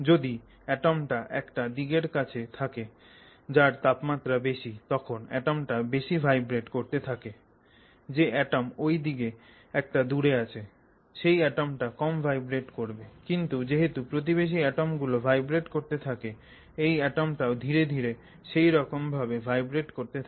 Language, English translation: Bengali, So, if this atom is closer to a side which has high temperature it will vibrate much more, this atom is a little away, it will vibrate a little less but because of this neighboring atom vibrating more it will start picking up that vibration and so gradually you can sort of say that the heat has gone from this atom to the next atom and that is how the process continues and it comes to the other end